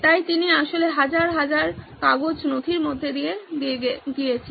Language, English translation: Bengali, So he actually went through thousands and thousands of paper documents